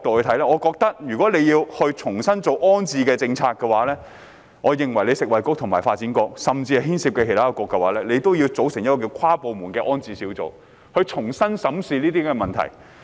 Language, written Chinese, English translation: Cantonese, 從這個角度看來，如要重新做好安置政策，食衞局、發展局及其他牽涉的部門應組成跨部門安置小組，重新審視相關問題。, From this perspective in order to put the rehousing policy in order FHB the Development Bureau and other departments involved should form an inter - departmental rehousing group to review the relevant problems afresh